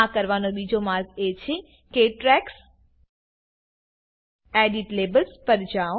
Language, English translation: Gujarati, Another way to do this is to go to Tracks gtgt Edit Labels